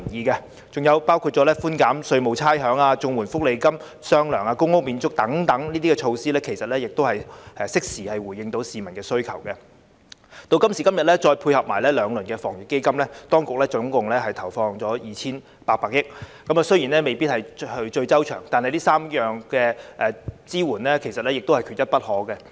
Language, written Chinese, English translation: Cantonese, 還有寬減稅務差餉、綜合社會保障援助和其他福利金發放"雙糧"、公屋免租等措施，其實也能夠適時回應市民的需求，再配合現時的兩輪防疫抗疫基金措施，當局合共投放 2,800 億元，雖然未必是最周詳，但這3項支援缺一不可。, Besides such measures as the tax and rates concessions an extra month of payment to recipients of the Comprehensive Social Security Assistance CSSA and other welfare benefits and rent waiver for tenants of public rental units can also respond to the needs of the public in a timely manner . Coupled with the two rounds of measures under the Anti - epidemic Fund AEF a total of 280 billion has been injected by the Government . These three initiatives though not being most comprehensive are indispensable